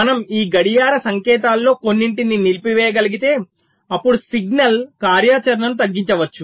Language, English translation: Telugu, so if we can disable some of these clock signals, then the signal activity can be reduced